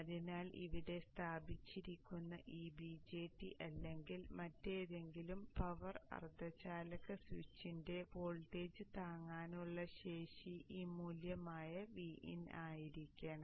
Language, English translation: Malayalam, So the voltage withstanding capability of this VJT or any other power semiconductor switch which is placed here should be VIN which is this way